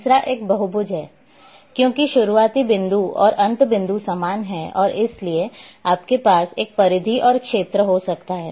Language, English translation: Hindi, The third one is the polygon, because the begin point and end point are same and therefore you can have a perimeter and you can have an area